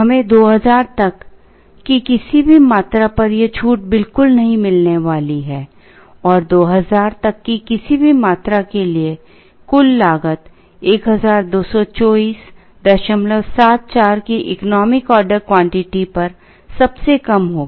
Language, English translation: Hindi, We are not going to get this discount at all, for any quantity up to 2000 and for any quantity up to 2000; the total cost will be the lowest at the economic order quantity of 1224